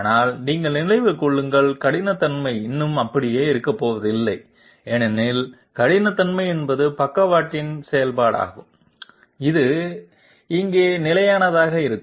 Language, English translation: Tamil, But mind you, the roughness is still not going to remain same because roughness is a function of the side step which is remaining constant here